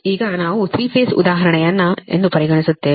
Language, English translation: Kannada, right now we consider a three phase example